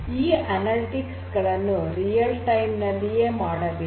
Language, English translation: Kannada, So, analytics will have to be done in real time